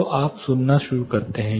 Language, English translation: Hindi, So, you start hearing